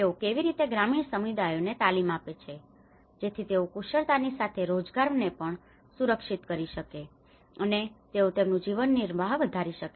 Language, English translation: Gujarati, How they train the rural communities so that they can also secure skill as well as the employment and they can enhance their livelihoods